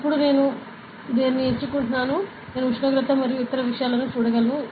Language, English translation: Telugu, Now, I am selecting this, see I can see the temperature and other things ok